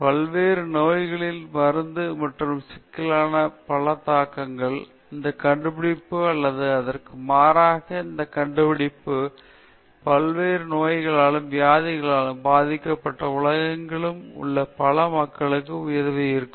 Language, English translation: Tamil, And many implications to the science of medicine and treatment of various ailments, this discovery or that or rather this invention would have helped a lot of people all over the world who are suffering from various diseases and ailments